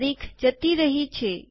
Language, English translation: Gujarati, The date has gone